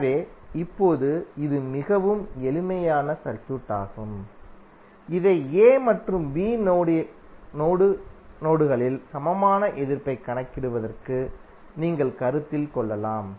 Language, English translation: Tamil, So now this is even very simple circuit which you can consider for the calculation of equivalent resistance across A and B terminal